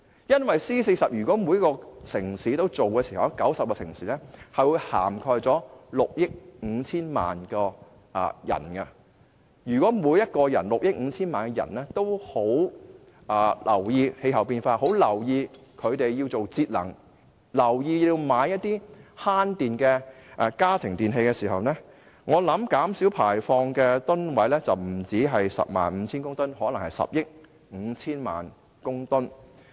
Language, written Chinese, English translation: Cantonese, 如果 C40 全部90個城市一致行動，有關行動便會涵蓋6億 5,000 萬人，而如果這6億 5,000 萬人都關注氣候變化，並意識到有需要節能和購買省電的家庭電器，我相信可減少排放的二氧化碳將不止 105,000 公噸，而可能是10億 5,000 萬公噸。, Should all the 90 cities of C40 act in concert their action will cover 650 million people and if these 650 million people are concerned about climate change and aware of the need to save energy and buy energy - efficient household electrical appliances I believe carbon dioxide emissions may be reduced by not just 105 000 tonnes but 1.05 billion tonnes